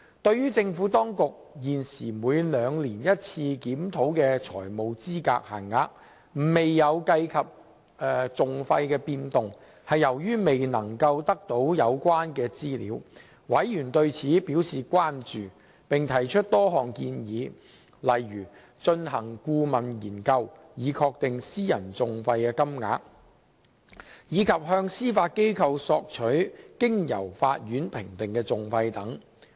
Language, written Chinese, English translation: Cantonese, 對於政府當局現時每兩年一次檢討的財務資格限額未有計及訟費變動，是由於未能得到有關資料，委員對此表示關注並提出多項建議，例如進行顧問研究以確定私人訟費金額，以及向司法機構索取經由法院評定的訟費等。, Regarding the existing biennial review of financial eligibility limits conducted by the Administration which has not taken into account changes in litigation costs Members have expressed concerns and put forth various suggestions . These include the commissioning of a consultancy study to ascertain private litigation costs and the seeking of information about the costs assessed by the Court from the Judiciary